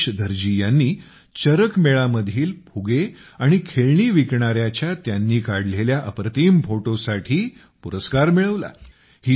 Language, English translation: Marathi, Rajesh Dharji, resident of Kolkata, won the award for his amazing photo of a balloon and toy seller at CharakMela